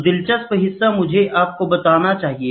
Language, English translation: Hindi, So, the interesting part let me tell you